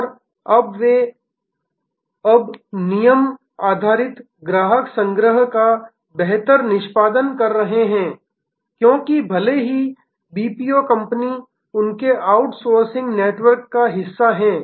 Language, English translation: Hindi, And now, they are now having much better execution of rule based customer collection, because even though this BPO company is part of their outsourcing network